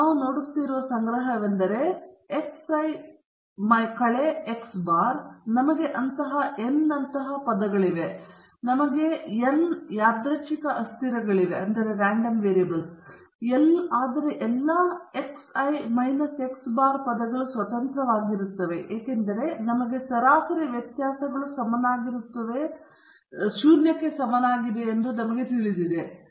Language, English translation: Kannada, The collection we are looking at is x i minus x bar, we have n such terms, we have n random variables, but not all the x i minus x bar terms are independent because we know that the sum of the deviations from the mean is equal to zero